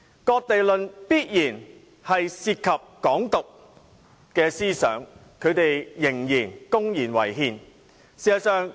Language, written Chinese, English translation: Cantonese, "割地論"必然涉及"港獨"思想，他們仍公然違憲。, Talks about cession definitely involve Hong Kong independence thoughts . But they have blatantly contravened the Basic Law all the same